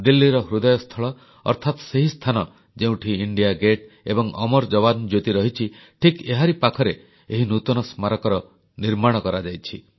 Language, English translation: Odia, This new memorial has been instituted in the heart of Delhi, in close vicinity of India Gate and Amar JawanJyoti